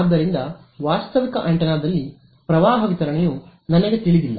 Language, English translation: Kannada, So, actually I do not know the current distribution in a realistic antenna